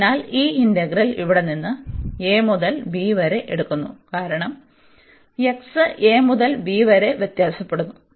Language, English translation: Malayalam, So, taking this integral here from a to b, because x varies from a to b